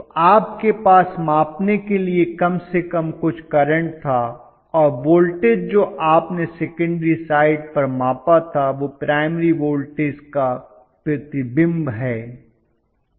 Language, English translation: Hindi, So you had at least some current to measure and the voltage what you measured on the secondary side is the reflection of the primary voltage